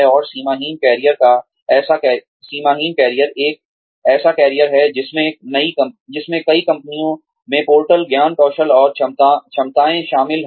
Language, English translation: Hindi, And, boundaryless careers are careers that include portable knowledge, skills and abilities across multiple firms